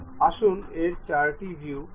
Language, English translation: Bengali, Let us click this four view